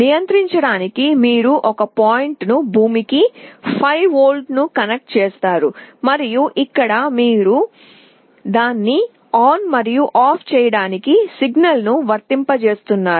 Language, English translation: Telugu, For controlling you connect one point to ground, 5 volt, and here you are applying a signal to turn it on and off